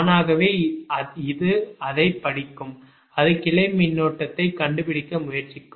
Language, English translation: Tamil, it will read it and it will try to find out the branch current, right